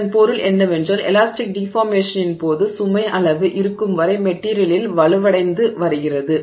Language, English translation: Tamil, So, what it means is that during elastic deformation to the extent that the load is present, the material is becoming stronger